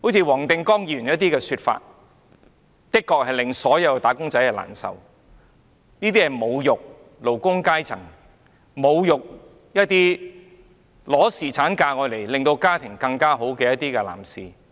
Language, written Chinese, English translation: Cantonese, 黃定光議員的說法的確令所有"打工仔"難受，這是侮辱勞工階層，侮辱一些放取侍產假來改善家庭狀況的男士。, Mr WONG Ting - kwongs remarks indeed saddened all wage earners . He humiliated the working class and humiliated those who take paternity leave to take care of their family